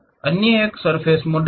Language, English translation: Hindi, The other one is surface models